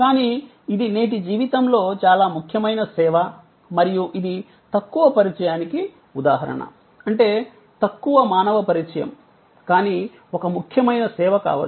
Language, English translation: Telugu, And, but it is a very important service in the life of today and that is an example of low contact; that means, low human contact, but could be important service